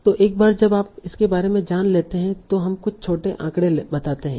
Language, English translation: Hindi, So now, so once we know about that, let's say some small statistics